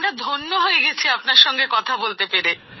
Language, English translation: Bengali, We are blessed to talk to you sir